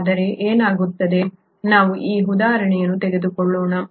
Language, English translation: Kannada, So what happens; let us take this example